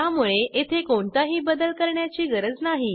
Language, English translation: Marathi, So there is no need to change anything here